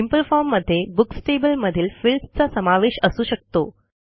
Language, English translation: Marathi, So a simple form can consist of the fields in the Books table